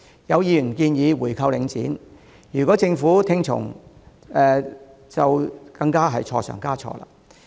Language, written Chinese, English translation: Cantonese, 有議員建議回購領展，如果政府跟着做更是錯上加錯。, If the Government heeds the suggestion of some Members of buying back Link REIT it would only bring about yet more headaches